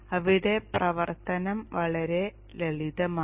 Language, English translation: Malayalam, So the operation is pretty simple here